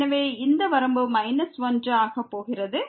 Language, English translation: Tamil, So, this limit is going to minus 1